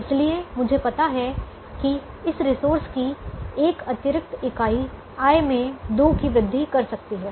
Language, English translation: Hindi, so i know that this one extra unit of this resource can increase the, the revenue by two